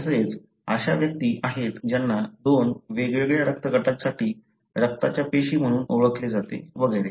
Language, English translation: Marathi, Also, there are individuals who are known to have blood cells for two different blood groups and so on